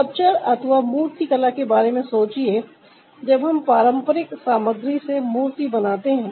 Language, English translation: Hindi, when we are making a sculpture with the traditional materials